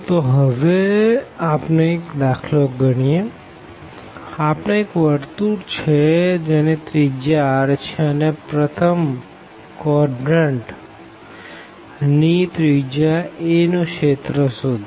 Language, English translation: Gujarati, So, now, we want to compute, we want to start with a very simple example compute area of the first quadrant of a circle of radius r, of radius a